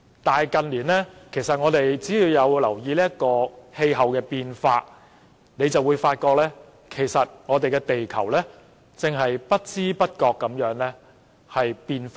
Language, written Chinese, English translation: Cantonese, 但是，近年大家若有留意氣候變化，便會發覺地球正在不知不覺間轉變。, However if we have noticed the climate change in recent years we would realize that planet Earth has been changing without our being aware of it